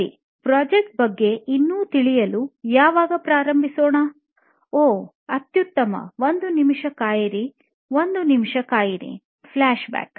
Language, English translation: Kannada, Okay, when to start with your story on what the project is about, oh excellent wait wait wait a minute, wait a minute, FLASHBACK